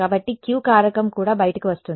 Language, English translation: Telugu, So, the Q factor also comes out